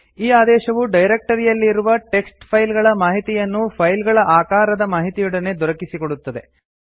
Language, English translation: Kannada, This command will give you a report on the txt files available in the directory along with its file sizes